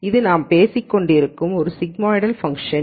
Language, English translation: Tamil, So, this is a sigmoidal function that we have been talking about